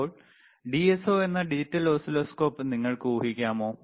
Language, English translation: Malayalam, Now, can you first assume in to the digital oscilloscope which is DSO, yes, ok